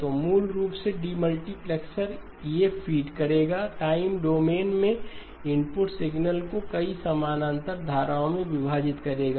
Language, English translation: Hindi, So basically the demultiplexer will feed these, will split the input signal in the time domain into multiple parallel streams